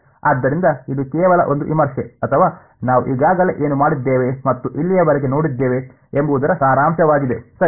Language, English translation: Kannada, So, it is just a review or a summary of what we have already done and seen so far ok